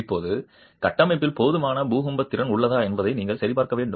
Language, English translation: Tamil, Now you need to verify whether the structure has adequate earthquake capacity